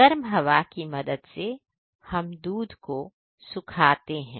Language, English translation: Hindi, With help of the hot air we dry them milk